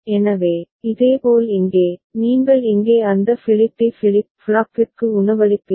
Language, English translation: Tamil, So, similarly over here, you will be feeding to that flip D flip flop over here